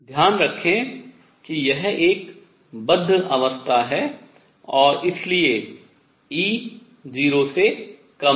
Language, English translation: Hindi, Keep in mind that this is a bound state and therefore, E is less than 0